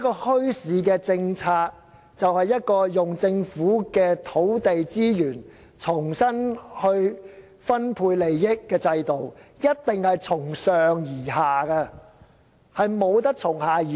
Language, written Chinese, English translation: Cantonese, 墟市政策其實是政府運用土地資源重新分配利益的制度，必定是由上而下，而不是由下而上。, The bazaar policy is actually a system for the Government to redistribute interests using land resources and it is definitely a top - down but not a bottom - up policy